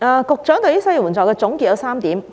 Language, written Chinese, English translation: Cantonese, 局長對於失業援助的總結主要有3點。, The Secretary mainly raised three points in his conclusion on unemployment assistance